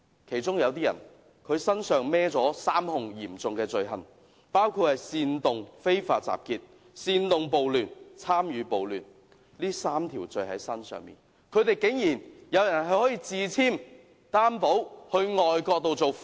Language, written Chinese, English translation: Cantonese, 其中有部分暴亂發動者身負3項嚴重控罪，包括煽動非法集結、煽動暴亂及參與暴亂，但他們有人竟然可以自簽擔保到外國受訪。, Some of the leaders inciting the riots were charged with three serious offences including incitement of unlawful assembly incitement of riots and participation in riots but one of them was allowed to enter into own recognizance and received interviews overseas